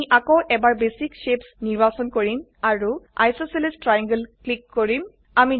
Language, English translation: Assamese, We shall select Basic shapes again and click on Isosceles triangle